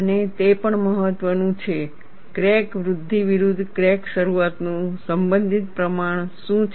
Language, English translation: Gujarati, And it is also important, what is the relative proportion of crack initiation versus crack growth